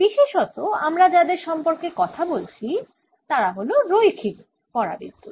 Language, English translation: Bengali, what we are talking about are linear dielectrics